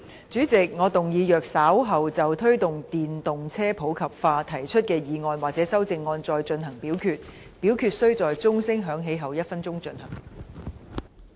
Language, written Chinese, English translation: Cantonese, 主席，我動議若稍後就"推動電動車普及化"所提出的議案或修正案再進行點名表決，表決須在鐘聲響起1分鐘後進行。, President I move that in the event of further divisions being claimed in respect of the motion on Promoting the popularization of electric vehicles or any amendments thereto this Council do proceed to each of such divisions immediately after the division bell has been rung for one minute